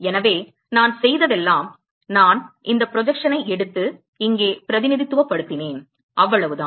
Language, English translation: Tamil, So, all I have done is I have just taken this projection and represented here that is all